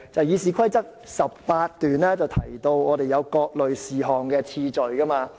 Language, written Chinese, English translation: Cantonese, 《議事規則》第18條提到立法會審議各類事項的次序。, RoP 18 stipulates the order of business at a meeting of the Legislative Council